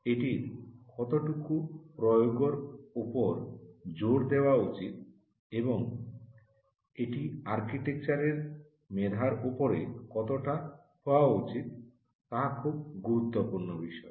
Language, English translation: Bengali, how much of it should be an emphasis on the application and how much should it be on the merit of the architecture